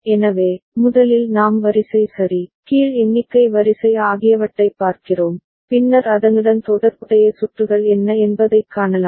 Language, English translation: Tamil, So, first we look at the sequence ok, the down count sequence, then we can see what would be the corresponding circuits